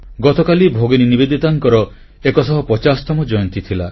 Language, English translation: Odia, Yesterday was the 150th birth anniversary of Sister Nivedita